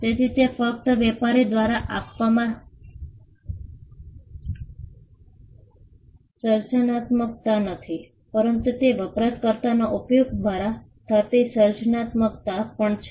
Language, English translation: Gujarati, So, it is just not creativity by the trader, but it is also creativity that is perceived by the users